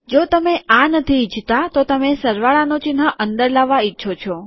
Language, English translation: Gujarati, If you dont want this, you want the plus sign to come inside